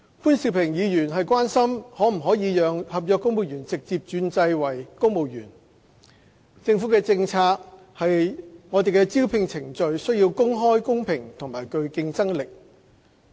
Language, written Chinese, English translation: Cantonese, 潘兆平議員關心可否讓合約員工直接轉為公務員，政府的政策是招聘程序需公開、公平和具競爭性。, Mr POON Siu - ping is concerned about whether NCSC staff can be directly converted to civil servants . According to the relevant government policy the recruitment process has to be open fair and competitive